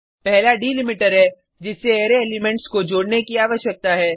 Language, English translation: Hindi, 1st is the delimiter by which the Array elements needs to be joined